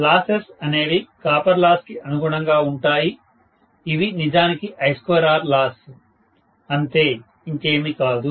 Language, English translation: Telugu, Losses will correspond to copper loss, which is actually I square R loss, nothing else